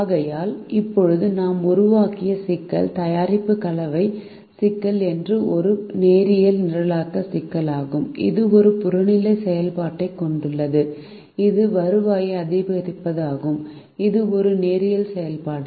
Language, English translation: Tamil, therefore, the problem that we just know formulated, the product mix problem, is a linear programming problem that has an objective function which is to maximize the revenue, which is a linear function